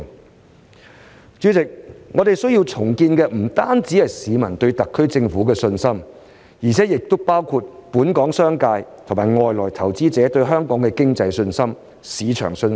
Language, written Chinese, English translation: Cantonese, 代理主席，我們需要重建的不僅是市民對特區政府的信心，而且也包括本港商界和外來投資者對香港經濟及市場的信心。, Deputy President we need to rebuild not only public confidence in the SAR Government but also the confidence of the local business sector and foreign investors in Hong Kongs economy and market